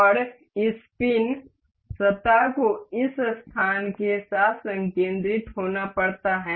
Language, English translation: Hindi, And this pin surface has to be concentric concentric with this space